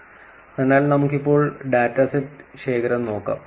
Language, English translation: Malayalam, So, now let us look at actually the data set collection